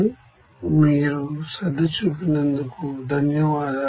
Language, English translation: Telugu, So, thank you for your attention here